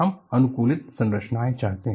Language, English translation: Hindi, So, we want to have optimized structures